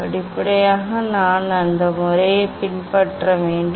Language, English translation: Tamil, step by step, we have to follow that method